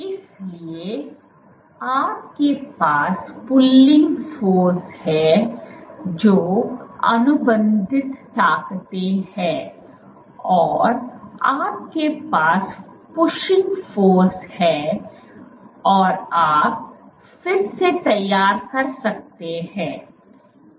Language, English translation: Hindi, So, you can have pulling forces that is contractile forces, you can have pushing forces pushing forces and you can have remodeling